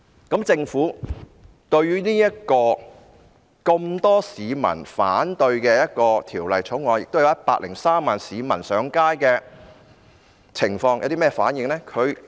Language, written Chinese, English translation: Cantonese, 對於《條例草案》有這麼多市民反對、有103萬名市民上街的情況，政府有甚麼反應呢？, What was the Governments response when so many people were against the Bill and 1.03 million people took to the streets?